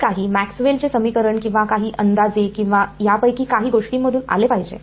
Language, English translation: Marathi, It has to come from some Maxwell’s equations or some approximation or something of this are